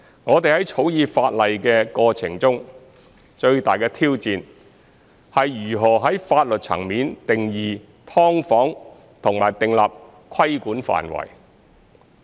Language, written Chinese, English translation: Cantonese, 我們在草擬法例的過程中，最大的挑戰是如何在法律層面定義"劏房"和訂立規管範圍。, In the course of drafting the legislation the greatest challenge is how to define subdivided units at the legal level and delineate the scope of regulation